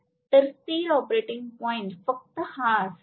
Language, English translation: Marathi, So, the stable operating point will be only this